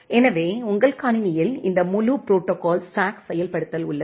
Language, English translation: Tamil, So, you have this entire protocol stack implementation inside your computer